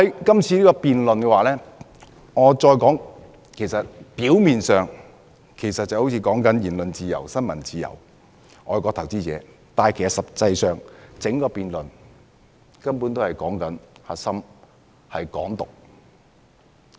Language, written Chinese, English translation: Cantonese, 今次辯論表面上涉及言論自由、新聞自由及外國投資者，但實際上，整個辯論的核心是"港獨"。, On the face of it this debate is related to freedom of speech freedom of the press and foreign investors but the core of the whole debate is actually about Hong Kong independence